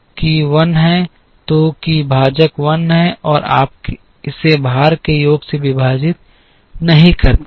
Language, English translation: Hindi, So, that the denominator is 1 and you do not divide it by the sum of the weights